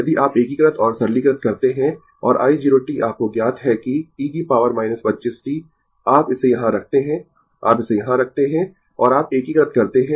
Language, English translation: Hindi, If you integrate and simplify and i 0 t is known to you that e to the power minus 25 t, you put it here, you put it here and you integrate